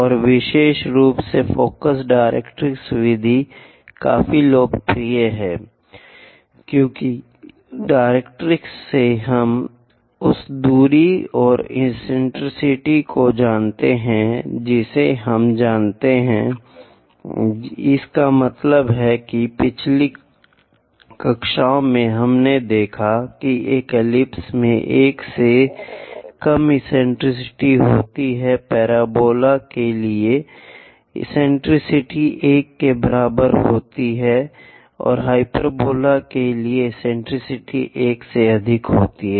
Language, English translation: Hindi, And, especially focus directrix method is quite popular: one because from directrix we know the distance and eccentricity we know; that means, in the last classes we have seen an ellipse is having eccentricity less than 1, parabola is for parabola eccentricity is equal to 1 and for hyperbola eccentricity is greater than 1